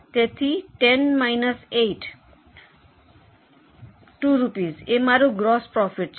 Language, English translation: Gujarati, So, 10 minus 8, 2 rupees per unit basis is your contribution